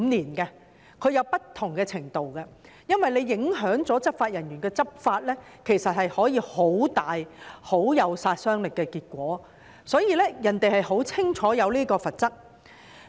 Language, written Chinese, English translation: Cantonese, 當地訂有不同的程度，因為若執法人員的執法受到影響，其實可以產生很大、很有殺傷力的結果，所以，當地很清楚地訂明有關罰則。, There are also different levels of penalty because if the discharge of duties by law enforcement officers is affected significant and destructive consequences may result . Therefore the relevant penalties are clearly set out in the legislation of New South Wales